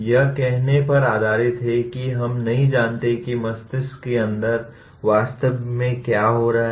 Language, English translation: Hindi, It is based on saying that we do not know what exactly is happening inside the brain